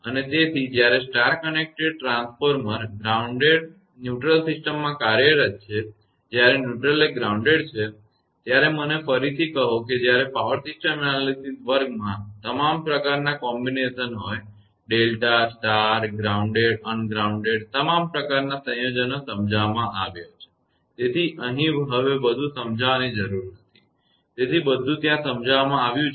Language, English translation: Gujarati, And therefore, when star connector transformer employed in grounded neutral system; when neutral is grounded, just me tell you once again when in the power system analysis class all sort of combination; delta, star, grounded, ungrounded all sort of combinations have been explained, so here and no need to explain further; so everything is explained there